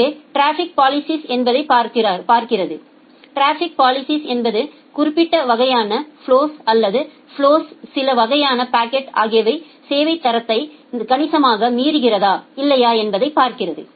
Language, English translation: Tamil, So, what traffic policing looks into, traffic policing in looks into that whether certain kind of flows or certain kind of packets in the flows is significantly violating the quality of service requirement or not